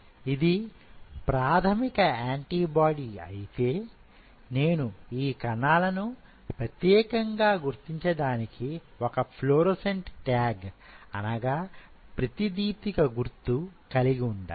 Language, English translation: Telugu, I mean if this is a primary antibody I have to have a fluorescent tag which will distinguish these cells